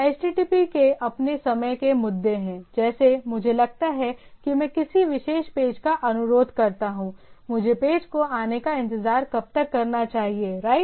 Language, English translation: Hindi, HTTP has it is own say timing issues like how long, suppose I request a particular page, how long I should wait the page will come right